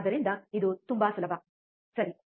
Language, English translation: Kannada, So, it is very easy, right